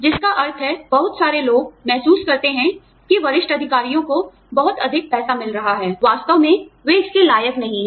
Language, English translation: Hindi, Which means, people, a lot of people, feel that, senior executives are getting, a lot more money, than they actually deserve